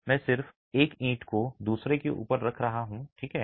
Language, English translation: Hindi, I am just stacking one brick above another